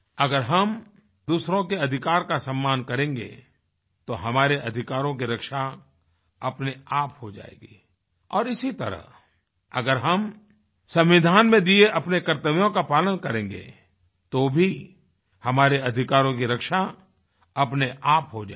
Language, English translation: Hindi, If we respect the rights of others, our rights will automatically get protected and similarly if we fulfill our duties, then also our rights will get automatically protected